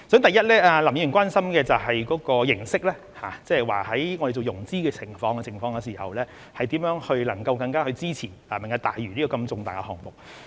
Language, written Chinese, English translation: Cantonese, 第一，林議員關心的就是形式，即在我們進行融資時，如何能夠更加支持"明日大嶼"這如此重大的項目。, First Mr LAM is concerned about the approach and that is how we can in securing finance provide greater support for such an important project as Lantau Tomorrow